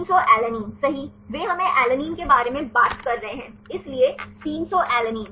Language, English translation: Hindi, 300 alanine right, they we are talking about alanine, so 300 alanine